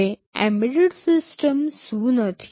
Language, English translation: Gujarati, Now, what embedded system is not